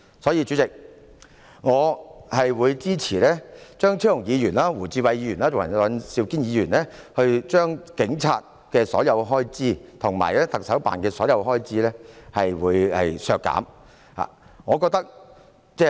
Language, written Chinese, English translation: Cantonese, 所以，主席，我會支持張超雄議員、胡志偉議員及尹兆堅議員將香港警務處及特首辦所有開支削減的修訂議案。, Hence President I will support the amending motions proposed by Dr Fernando CHEUNG Mr WU Chi - wai and Mr Andrew WAN to cut all the expenditures of HKPF and the Chief Executives Office